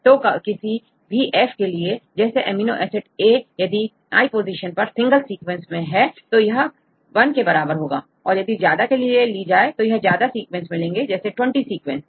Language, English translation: Hindi, So, for any F take amino acid a in position I in a single sequence this is equal to 1 if you take that then if you have more sequences for example 20 sequences